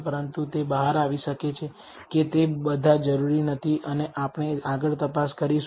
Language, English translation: Gujarati, But it may turn out that all of them is not necessary and that we will we will examine further